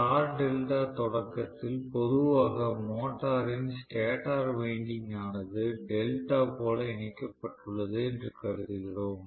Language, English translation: Tamil, So, in star delta starting, normally we assume that the motor stator winding is connected in delta, so this is the motor winding okay